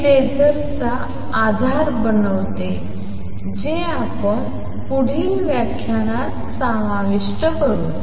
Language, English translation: Marathi, This forms the basis of lasers which we will cover in the next lecture